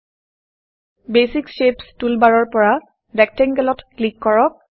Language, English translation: Assamese, From the Basic Shapes toolbar click on Rectangle